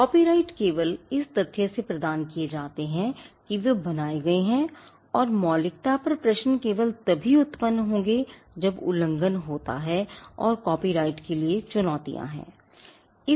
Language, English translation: Hindi, Copyrights are granted by the mere fact that they are created and originality questions on originality would arise only when there is an infringement and there are challenges made to the copyright